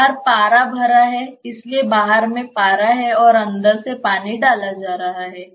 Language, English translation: Hindi, The outside is say filled up with mercury, so there is mercury in the outside and water is being poured from inside